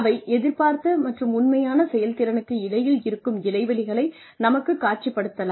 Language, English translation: Tamil, There are programs, that can map the gaps, in expected and actual performance